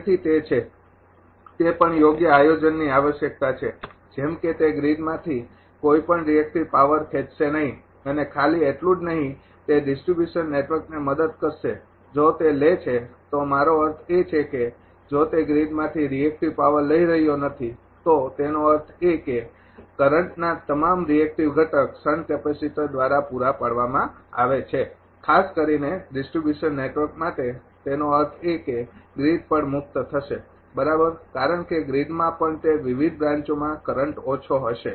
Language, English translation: Gujarati, So, that is that is also proper planning is required such that it will not draw any reactive power from the grid and ah not only it is helping the distribution network if it draws ah I mean if it is not drawing reactive power from the grid means; that means, that is all the reactive component of the current is supplied by the sand capacitor particularly for the distribution network it means that grid also will be relieved right, because in the grid also that ah current current will be less in various branches